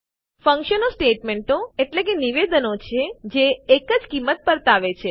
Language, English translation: Gujarati, Functions are statements that return a single value